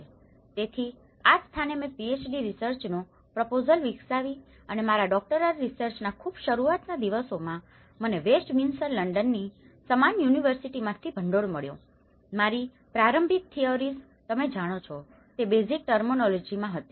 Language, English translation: Gujarati, D research and in the very early days of my Doctoral research which I got funded from the same University of Westminster London, my initial theories were in the basic terminology you know